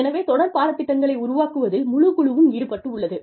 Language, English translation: Tamil, So, the entire team is involved, in developing the series of courses